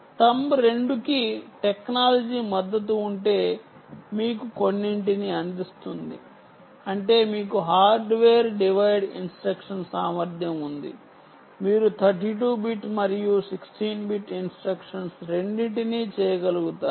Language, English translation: Telugu, if there is a support for thumb two means that you do have hardware divide instruction capability, so you will be able to do both thirty two bit and sixteen bit instruction